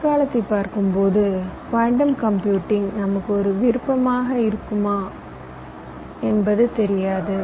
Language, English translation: Tamil, looking into the feature, we really do not can quantum computing be an option for us